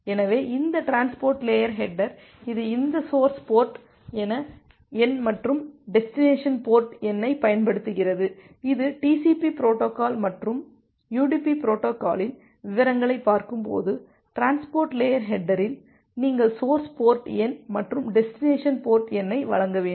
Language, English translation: Tamil, So, this transport layer header, it uses this source port number and the destination port number that will look into when you look into the details of the TCP protocol and a UDP protocol, that at the transport layer header you have to provide the source port number and a destination port number